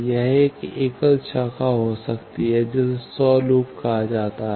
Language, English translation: Hindi, It may be a single branch that is called self loop